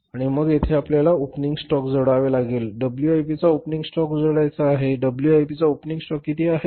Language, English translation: Marathi, Closing stock of WIP is how much closing stock of WIP is how much closing stock of WIP is how much closing stock of WIP